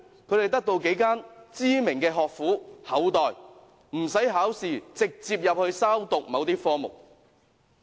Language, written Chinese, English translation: Cantonese, 他們得到幾間知名學府厚待，無須考試便可直接入學修讀某些科目。, They have been given privileged treatment by a number of famous universities where they can enrol on certain programmes direct without sitting any examinations